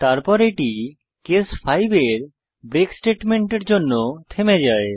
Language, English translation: Bengali, Then it stops because of the break statement in case 5